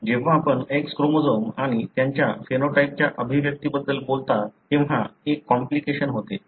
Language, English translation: Marathi, There is a complication when you talk about X chromosomes and their expression of the phenotype